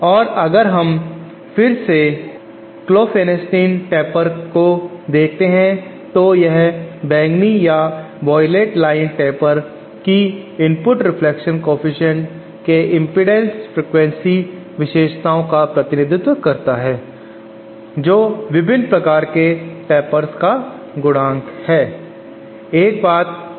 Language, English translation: Hindi, And if we again see the Klopfenstein taper this purple or violet line represents the taper of the impedance frequency characteristics of the input reflection coefficient various kind of tapers and this purple line shows the characteristics of Klopfenstein taper